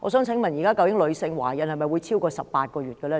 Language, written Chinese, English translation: Cantonese, 請問現時女性的懷孕期是否超過18個月呢？, May I ask whether womens pregnancy period has now become longer than 18 months?